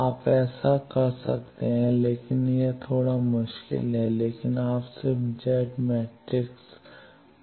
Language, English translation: Hindi, You can do that, but that is a bit tricky, but you can just come to Z matrix